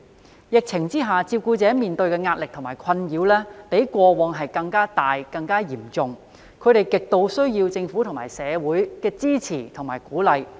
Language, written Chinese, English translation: Cantonese, 在疫情下，照顧者面對的壓力和困擾，比過往更大及更嚴重，他們極度需要政府和社會的支持和鼓勵。, Amid the epidemic carers have been suffering greater pressure and more serious distress than before . They are in dire need of support and encouragement from the Government and the community